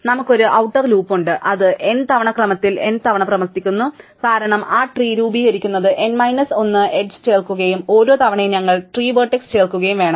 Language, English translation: Malayalam, We have an outer loop which runs n times order n times because we have to add n minus 1 edge to form that tree and at each iteration, we add vertex with the tree